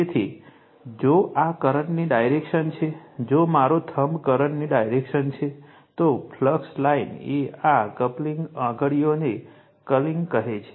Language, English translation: Gujarati, So, if the if this is the direction of the current, if my thumb is the direction of the current, then flux line will be the curling this curling finger right